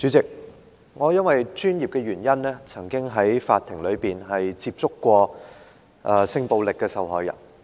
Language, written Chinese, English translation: Cantonese, 主席，我因為本身的專業，曾經在法庭內接觸性暴力受害人。, President because of my profession I have met victims of sexual violence in court